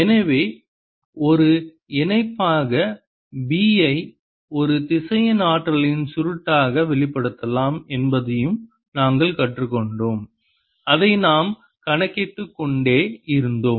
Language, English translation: Tamil, and therefore, as a corollary, we've also learnt that b can be expressed as curl of a vector potential, which we kept calculating